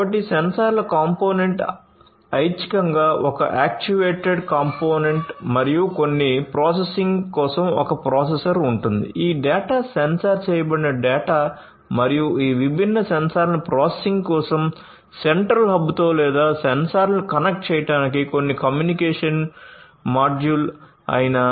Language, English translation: Telugu, So, there will be a sensor component an actuated component optionally and a processor for processing certain, you know, whether the data that is sensed and certain communication module for connecting these different sensors with a central hub for processing or the sensors themselves